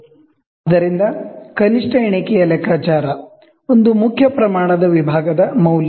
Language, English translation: Kannada, So, calculation of the least count: value of one main scale division